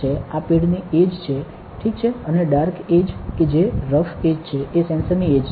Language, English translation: Gujarati, This is the edge of the pad, ok and the dark edge that rough edge is the edge of the sensor